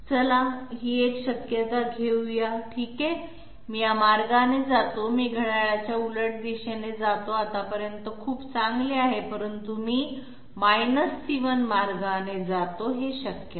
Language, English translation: Marathi, Let us take this one okay, okay I go this way, I take counterclockwise path, so far so good, but I go into C1 this is not this is not possible